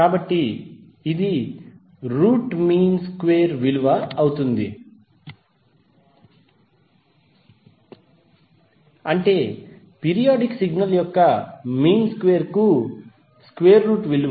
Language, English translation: Telugu, So this will become the root mean square value that means the square root of the mean of the square of the periodic signal